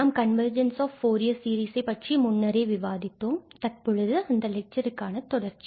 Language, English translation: Tamil, So, we have already discussed the convergence of Fourier series and now this is a continuation of that lecture, where we will consider different kind of convergences